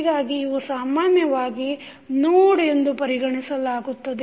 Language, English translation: Kannada, So, these are generally considered as a node